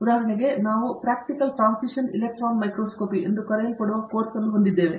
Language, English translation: Kannada, For example, we have a course which is called Practical Transmission Electron Microscopy Course